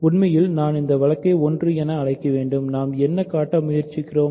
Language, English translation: Tamil, So, actually I should call this case 1 by the way, what are we trying to show